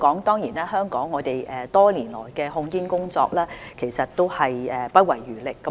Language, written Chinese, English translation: Cantonese, 當然，香港多年來的控煙工作也是不遺餘力的。, Of course Hong Kong has been sparing no efforts in tobacco control over the years